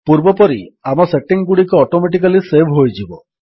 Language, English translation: Odia, As before, our settings will be saved automatically